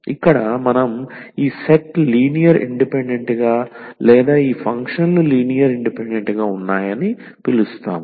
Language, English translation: Telugu, Then we call that these set here is linearly independent or these functions are linearly independent